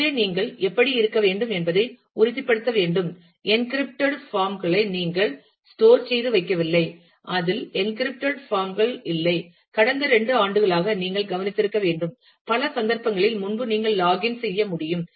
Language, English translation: Tamil, So, you should be you will need to make sure that, you do not store passwords you just store encrypted forms of that in which encrypted forms, you have must have observed for the last couple of years that, in many cases earlier you could just log in